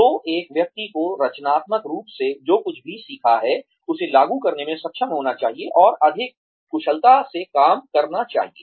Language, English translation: Hindi, So, one should be able to apply, constructively, what one has learnt, and be able to do the job at hand, more efficiently